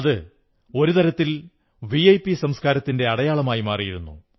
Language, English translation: Malayalam, In a way it had become a symbol of the VIP culture